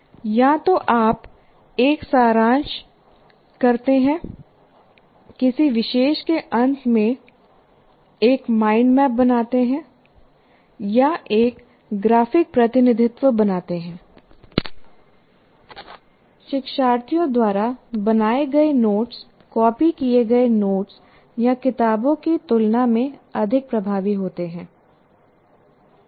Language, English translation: Hindi, So either you do a pre see, making a mind map at the end of a topic, or creating a graphic representation, notes made by the learners are more effective than copied notes or books